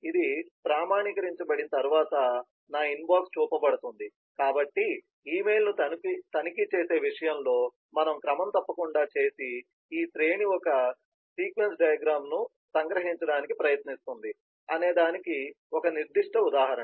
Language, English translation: Telugu, once this is authenticated, then my inbox will be shown, so these series of things that we regularly do in terms of checking an email is a specific illustration of what a sequence diagram tries to capture